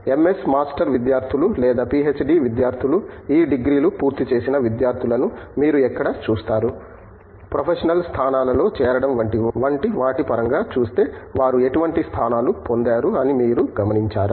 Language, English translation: Telugu, Where do you see most of your MS master students or PhD students, students who complete these degrees, where do you see them you know joining for positions that are you know professional positions in locations